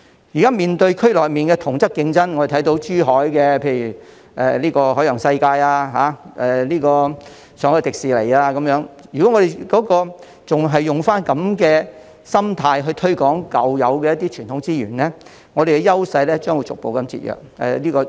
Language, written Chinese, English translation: Cantonese, 現在面對區內的同質競爭，例如珠海的海洋世界，上海的迪士尼樂園等，如果我們仍然用這種心態來推廣舊有的傳統資源，我們的優勢將會逐步被削弱。, Amid competition from similar facilities in the region such as the Water World in Zhuhai and the Shanghai Disneyland Hong Kong will gradually lose its edge if we still maintain the old mindset in promoting our traditional tourism resources